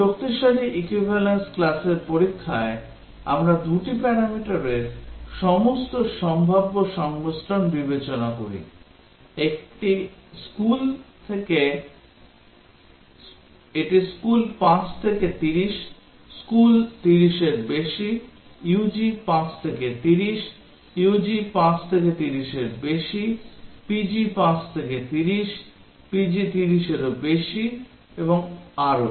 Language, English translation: Bengali, In strong equivalence class testing we consider all possible combinations of the two parameters that is; it is school 5 to 30, school greater than 30, UG 5 to 30, UG greater than 5 to 30, PG 5 to 30, PG greater than 30 and so on